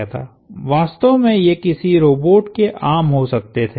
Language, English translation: Hindi, In reality these could have been arms of a robot